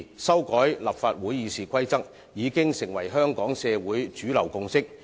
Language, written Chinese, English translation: Cantonese, 修改立法會《議事規則》已經成為香港社會的主流共識。, Amending RoP of the Legislative Council has already become a mainstream consensus of Hong Kong society